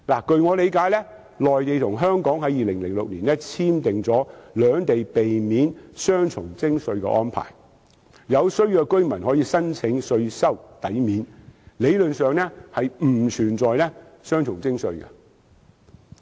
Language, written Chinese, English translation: Cantonese, 據我理解，內地和香港在2006年已簽署兩地避免雙重徵稅的安排，有需要的居民可以申請稅收抵免，理論上並不存在雙重徵稅。, As far as I understand it the Mainland and Hong Kong already signed a double taxation agreement in 2006 . Residents may apply for tax credit where necessary . In theory the question of double taxation does not exist